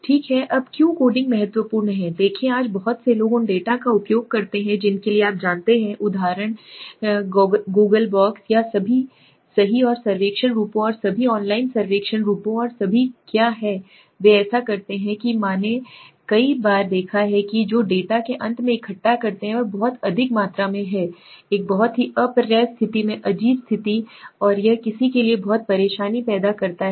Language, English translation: Hindi, Okay now why is coding important see today many people use data you know goggle for example goggle docs and all right and survey forms and all online survey forms and all what they do in that I have seen many of times that the data they collect at the end is highly in a very weird state in a very unreadable state right and it creates a lot of trouble for somebody who is now going into the analysis so coding is a very important thing if you do not code suppose you have put in a string format unnecessarily it becomes complicated